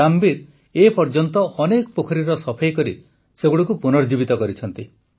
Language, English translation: Odia, So far, Ramveer ji has revived many ponds by cleaning them